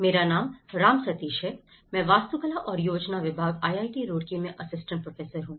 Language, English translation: Hindi, My name is Ram Sateesh; I am working as an assistant professor in Department of Architecture and Planning, IIT Roorkee